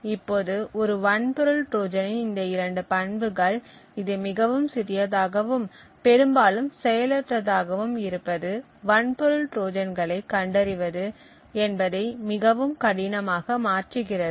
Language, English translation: Tamil, Now these two properties of a hardware Trojan that being very small and also mostly passive makes hardware Trojans extremely difficult to detect